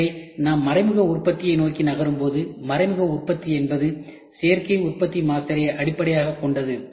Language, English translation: Tamil, So, when we move towards indirect manufacturing; indirective manufacturing is based on additive manufacturing master as well